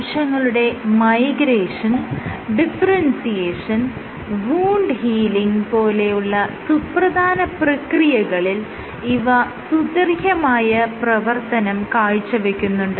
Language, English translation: Malayalam, So, it is of key relevance to multiple cellular processes including migration, wound healing and differentiation